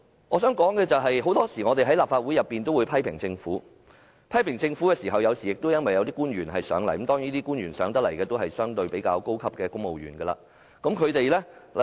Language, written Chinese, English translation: Cantonese, 我想說的是，我們在立法會內常常批評政府，批評對象往往是前來接受質詢的官員——當然，前來接受質詢的都是較高級的公務員。, What I wish to say is that we often criticize the Government in the Legislative Council and the targets of our criticisms are usually the officials who come here to answer our questions―certainly those who come here to answer our questions are senior civil servants